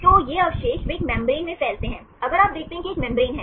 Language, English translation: Hindi, So, these residues, they span in a membrane, if you see there is a membrane